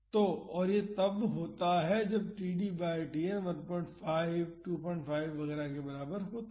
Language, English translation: Hindi, So, this is when td by Tn is equal to 2